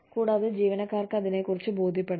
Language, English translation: Malayalam, And, employees have to be convinced, about it